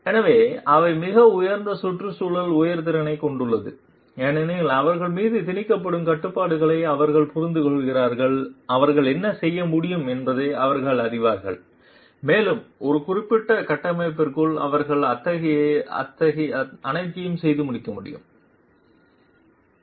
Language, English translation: Tamil, So, they have a very high environmental sensitivity because they understand the constraints that are imposed on them they know what they can do and they cannot do all so within a given framework